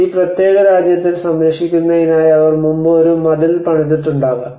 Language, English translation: Malayalam, Obviously they might have built a wall before in order to protect this particular kingdom